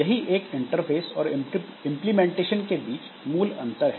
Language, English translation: Hindi, So, that is the differentiation between interface and implementation